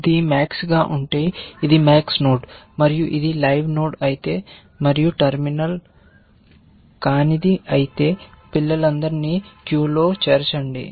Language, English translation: Telugu, If it is max, it is a max node and if it is a live node and if it is non terminal then, add all children to the queue